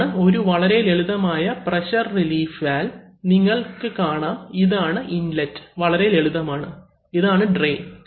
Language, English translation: Malayalam, So, this is a simple pressure release valve, so you see that this is the inlet, this is the inlet, so very simple, this is the drain, right